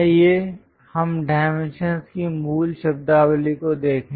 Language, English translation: Hindi, Let us look at basic terminology of dimensions